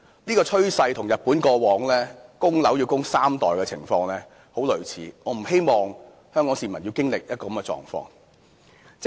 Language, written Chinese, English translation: Cantonese, 這個趨勢與日本過往供樓要供三代人的情況很類似，我不希望香港市民要經歷一個這樣的狀況。, This trend is similar to the situation in Japan where it would take three generations to pay off a home mortgage in the past . It is not my wish to see Hong Kong people experiencing such a situation